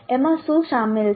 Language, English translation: Gujarati, What is involved in that